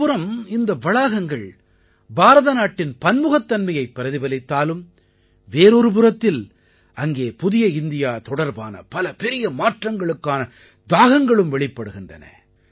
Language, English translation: Tamil, In these campuses on the one hand we see the diversity of India; on the other we also find great passion for changes for a New India